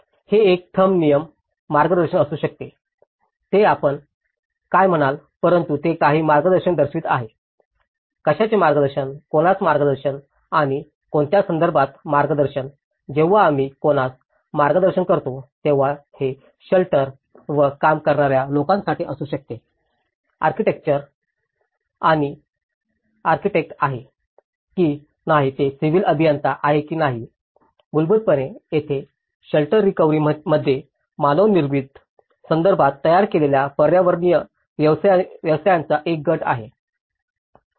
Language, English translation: Marathi, It could be a thumb rule guidance, it could be dos and don’ts, whatever you call it but it is showing some guidance; guidance to what, guidance to whom and guidance to which context so, when we say guidance to whom, this could be for the people who are working on the shelter practices whether it is an architect, whether it is a civil engineer, whether; so basically there is a group of built environment professions involved in the shelter recovery especially, in the humanitarian context